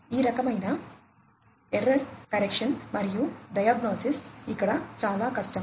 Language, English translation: Telugu, So, this kind of so, error correction and diagnosis is much more difficult over here